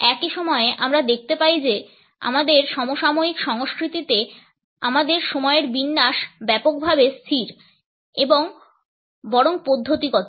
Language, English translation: Bengali, At the same time we find that in our contemporary cultures our arrangement of time is broadly fixed and rather methodical